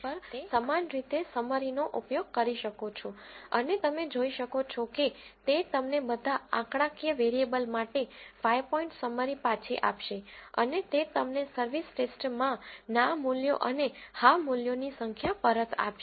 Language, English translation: Gujarati, You can use the same summary on service test and you can see that it will return you the 5 point summary for all the numeric variables and it will return you the number of no values and yes values in the service test